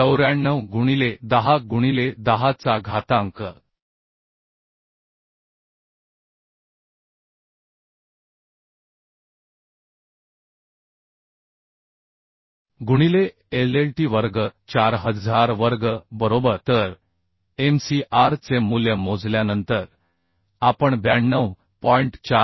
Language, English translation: Marathi, 94 into 110 0 to the 10 by LLT square 4000 square right So after calculation the Mcr value we could find 92